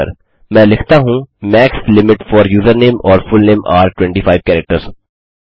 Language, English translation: Hindi, Let me say Max limit for username or fullname are 25 characters